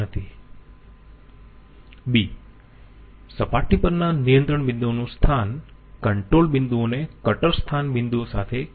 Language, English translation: Gujarati, B: location of control points on the surface, control points have nothing to do with cutter location points